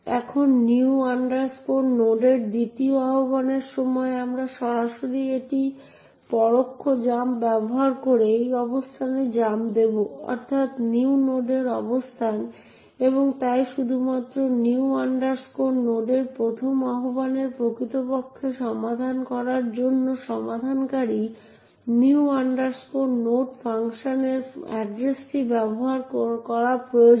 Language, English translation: Bengali, Now, during the second invocation of new node we would directly jump using this indirect jump to this location, that is, the location of new node itself and therefore only the first invocation of new node would actually require the resolver to be used in order to resolve the actual address of the new node function